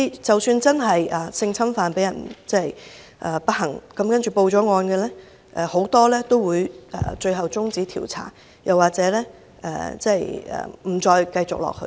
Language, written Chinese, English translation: Cantonese, 即使不幸被性侵犯的受害人報案，很多案件最後會被終止調查或不再繼續下去。, Even if the unfortunate victims of sexual abuse have reported their cases the investigations regarding most of these cases will ultimately be terminated or discontinued